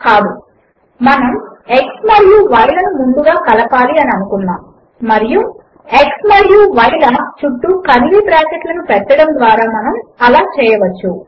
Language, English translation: Telugu, No, we want to add x and y first, and we can do this, by introducing curly brackets around x and y